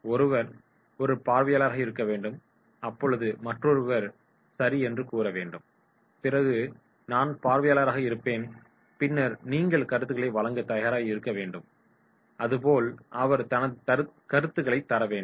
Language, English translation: Tamil, One has to be an observer and one say okay I will be the observer and then he is ready to give the comments and then he is involved, he is giving his comments